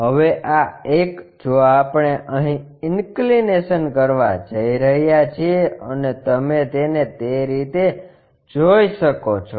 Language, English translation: Gujarati, Now, this one if we are going to make an inclination and that you can see it in that way